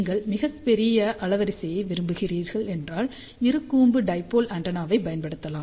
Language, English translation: Tamil, So, if you want to very large bandwidth, then Bi conical dipole antenna can be used